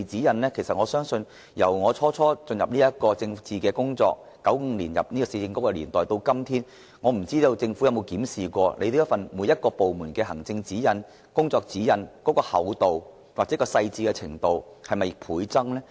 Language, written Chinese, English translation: Cantonese, 由我最初參與政治工作，於1995年加入市政局的年代開始，我不知政府有否留意每個部門的行政和工作指引的厚度或細緻程度是否倍增。, Should anything go wrong the Government will only more often than not issue more and more practice guidelines . Since I first became involved in politics by joining the Urban Council in 1995 I have been wondering if the Government has noticed if the thickness or details of the administrative guideline and codes of practice for each department have multiplied